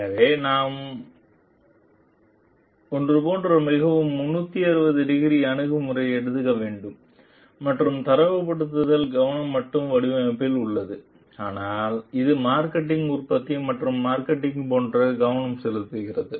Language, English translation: Tamil, So, we have to take a like very 360 degree approach and the focus of benchmarking is not only the design per se, but it is focused on the like the marketing production and marketing